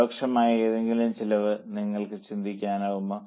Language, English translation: Malayalam, Can you think of any other example of indirect cost